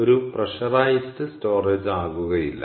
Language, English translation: Malayalam, it wont be a pressurized storage anymore, all right